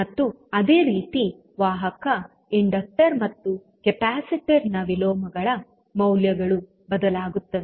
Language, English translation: Kannada, And similarly, the values of like conductance the inverse of inductor and capacitor will change